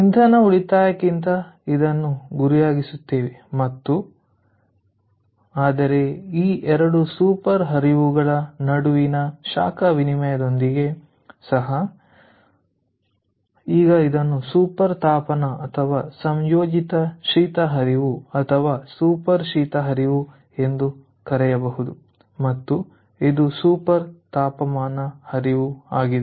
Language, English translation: Kannada, but even with this, ah heat exchange between these two, ah between the, these two super streams, because now the it can be called a super heating, super or composite cooling stream or super cooling stream, and this is a super heating stream